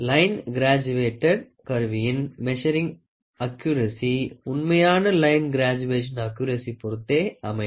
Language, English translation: Tamil, The measuring accuracy of line graduated instrument depends on the original accuracy of the line graduation